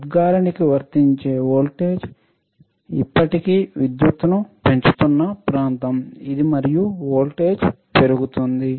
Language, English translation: Telugu, This is the region where if the applied voltage to the emitter still increases the current and the voltage will rise, all right